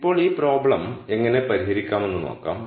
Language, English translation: Malayalam, Now, let us see how we solve this problem